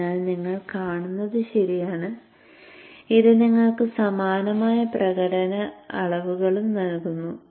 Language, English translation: Malayalam, So you would see that it gives you also similar kind of performance measures